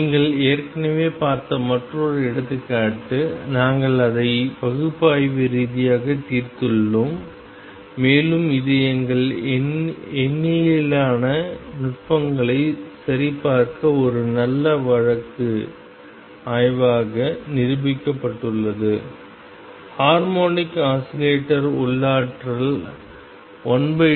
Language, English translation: Tamil, Another example that you have already seen and we have solved it analytically and it proved to be a good case study to check our numerical techniques is the harmonic oscillator potential one half k x square